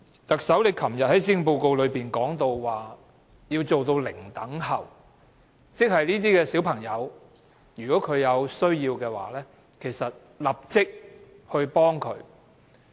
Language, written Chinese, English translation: Cantonese, 特首昨天在施政報告提及要做到"零輪候"，即是這些小朋友如果有需要，會立即幫他們。, The Policy Address delivered by the Chief Executive yesterday mentions the objective of zero - waiting time meaning that children in need will receive immediate assistance